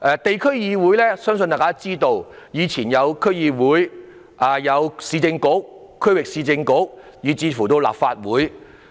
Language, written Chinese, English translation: Cantonese, 大家都知道，地區議會包括區議會、以往的市政局及區域市政局，以至立法會。, As we all know district organizations include DCs the former Urban Council and the Regional Council as well as the Legislative Council